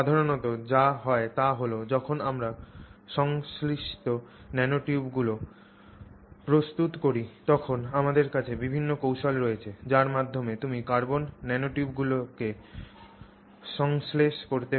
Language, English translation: Bengali, So, generally what happens is when we prepare synthesized nanotubes, we have different techniques by which you can synthesize carbon nanotubes